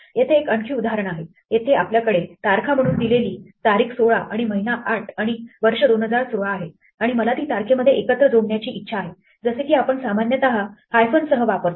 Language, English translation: Marathi, Here is another example, here we have a date 16 a month 08 and a year 2016 given as strings and I want to string it together into a date like we normally use with hyphens